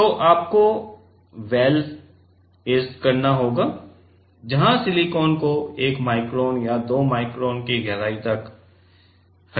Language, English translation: Hindi, So, you have to etched well where the silicon has been removed to a depth of 1 micron or 2 micron